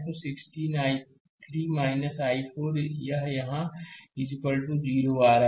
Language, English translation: Hindi, So, 16 i 3 minus i 4 here it is coming is equal to 0